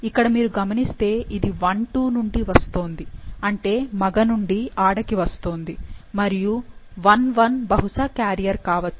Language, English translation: Telugu, Now, if you see, it is coming from I 2 that is male to female well taken and may be I 1 is carrier